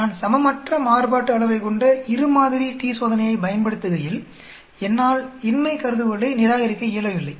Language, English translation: Tamil, When I use a two sample t Test with unequal variance, I am not able to reject the null hypothesis